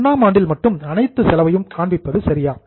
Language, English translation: Tamil, Is it rightful that the whole expense is shown in year 1 only